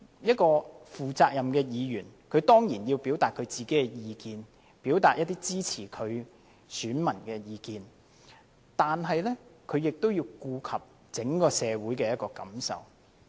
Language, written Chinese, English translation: Cantonese, 一個負責任的議員當然要表達自己的意見，表達支持他的選民的意見，但是亦要顧及整體社會的感受。, A responsible Member certainly expresses his views and those of his voters who support him but must also take into account the sentiments of society at large